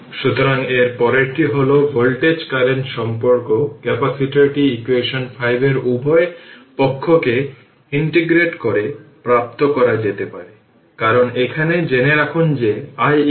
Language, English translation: Bengali, So, next is that next is the voltage current relationship the capacitor can be obtain by integrating both sides of equation 5 we will get, because here we know that i is equal to c into dv by dt right ah